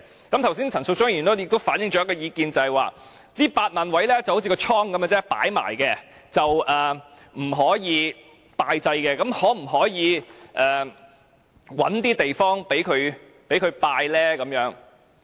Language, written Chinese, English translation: Cantonese, 剛才陳淑莊議員亦反映一項意見，就是這8萬個位就好像一個倉般只作擺放，不可以供人拜祭，那麼可否找地方讓人拜祭？, Just now Ms Tanya CHAN also expressed the view that the Government would just provide the storage place for 80 000 niches and people cannot pay tribute to the deceased . She asked whether the authorities could find other places for people to pay tribute